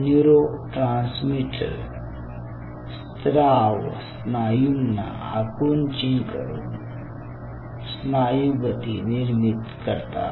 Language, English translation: Marathi, those neurotransmitter secretion will lead to muscle contraction, further lead to muscle force generation